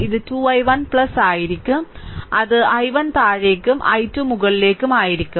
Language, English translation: Malayalam, It will be 2 i 1 plus it will be i 1 downwards i 2 upwards